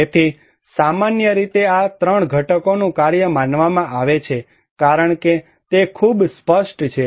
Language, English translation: Gujarati, So, disaster in general is considered to be the function of these 3 components as it is very clear